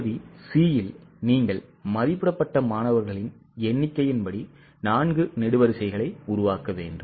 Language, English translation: Tamil, And in Part C, as for the estimated number of students, you need to make four columns